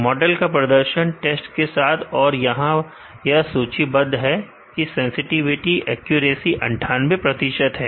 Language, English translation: Hindi, The model performance the on the test that is listed here sensitivity accuracy is 98 percentage